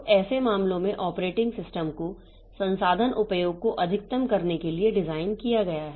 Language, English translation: Hindi, So, the operating system in such cases that is designed to maximize resource utilization